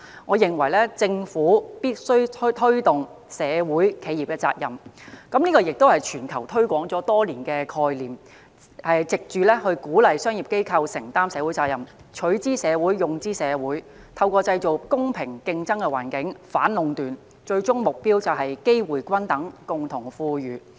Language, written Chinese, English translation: Cantonese, 我認為政府必須推動企業社會責任——這亦是全球推廣多年的概念——藉此鼓勵商業機構承擔社會責任，即"取諸社會，用諸社會"，以及透過營造公平競爭的環境，反壟斷，最終目標是機會均等，共同富裕。, I think it is necessary for the Government to promote CSR―a concept which has been promoted around the world for years―to encourage commercial organizations to undertake their social responsibilities ie . giving back to society what they have received from it . Also it should create a level playing field with the aim of fighting against monopolies and ultimately achieving equal opportunity and common prosperity